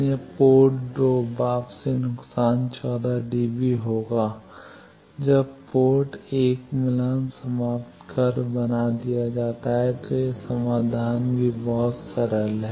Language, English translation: Hindi, So, port 2 return loss will be a 14 db when port 1 is match terminated, that is solution b pretty simple